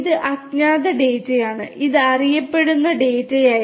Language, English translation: Malayalam, This is the unknown data, this was known data